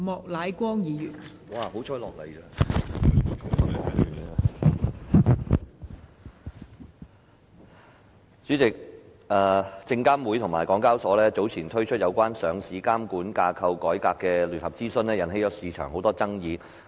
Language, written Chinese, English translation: Cantonese, 代理主席，證券及期貨事務監察委員會及香港交易及結算所有限公司早前推出有關上市監管架構改革的聯合諮詢，引起市場很多爭議。, Deputy President the consultation concerning the reform of the governance structure for listing regulation jointly conducted by the Securities and Futures Commission SFC and The Stock Exchange of Hong Kong Limited SEHK some time ago has caused much controversies in the market